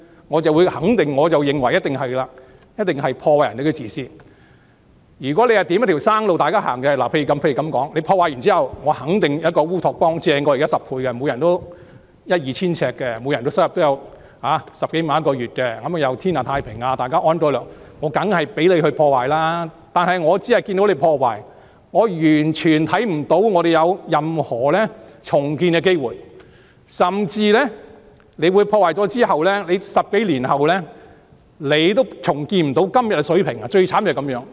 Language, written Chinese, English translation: Cantonese, 如果你這樣做是為大家指向一條生路，例如在破壞後，你肯定有一個比現時優勝10倍的烏托邦，每人可以有一間一二千平方呎的房子，月入10多萬元，社會天下太平，大家安居樂業，我當然讓你破壞，但現在我只看到你破壞，完全看不到社會有任何重建的機會，甚至在造成破壞後的10多年也無法重建今天的水平，最慘便是這樣。, Suppose you are doing these things in order to show people a way out . For instance if you are sure that inflicting these damages will usher in a utopia which is 10 times better than the present situation where everybody will have a home of 1 000 sq ft or 2 000 sq ft and make an income of over 100,000 and there will be peace and order in society and everybody will live and work happily I would of course let you do these damages . But now all I can see is that you are causing damages and I entirely do not see any chance for society to be rebuilt and worse still it is impossible to return to todays standard a decade or so after the damages are done and alas that would be most tragic